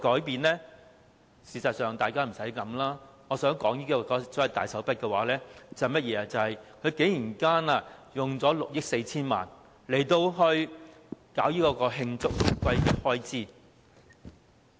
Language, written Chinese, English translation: Cantonese, 但實際上，大家不用多想，我說的所謂大手筆，其實是政府竟然動用6億 4,000 萬元作慶祝回歸的開支。, But actually we need not think too much about it . In fact the large sum mentioned by me refers to the spending of 640 million by the Government for celebrating the reunification